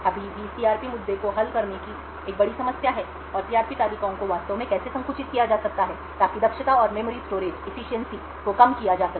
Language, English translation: Hindi, There is still a huge problem of solving the CRP issue and how the CRP tables could be actually compressed so that the efficiency and the memory storage can be reduced